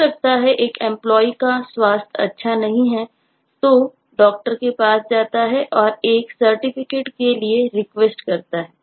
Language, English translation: Hindi, that me employee has not been keeping good health, so goes to the doctor and request for a certificate